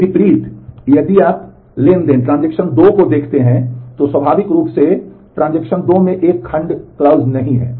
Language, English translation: Hindi, In contrast, if you look at transaction 2, naturally transaction 2 does not have a where clause